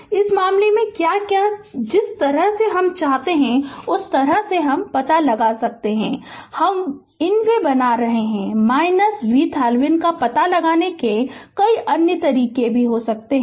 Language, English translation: Hindi, So, in this case what you can what you the way you want you can find out look, I am making in my way you have many other ways to find out V Thevenin